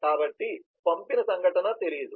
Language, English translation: Telugu, so the send event is not known